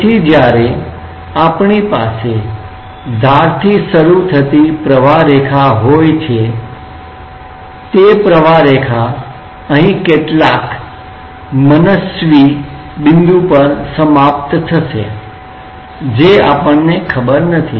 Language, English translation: Gujarati, So, when we have the streamline starting from the edge the streamline will end up here at some arbitrary point which is not known to us